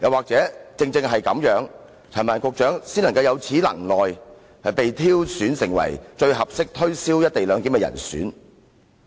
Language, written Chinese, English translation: Cantonese, 還是正因陳帆局長有此能耐，他才被挑選為最合適推銷"一地兩檢"的人呢？, Or is it because of these attributes of Secretary Frank CHAN that he is identified as the suitable person to promote the co - location arrangement?